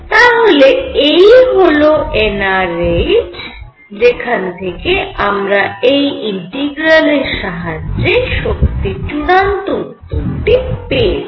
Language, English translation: Bengali, So, this is n r h this giving you the final answer for the integral and this is what is going to determine the energy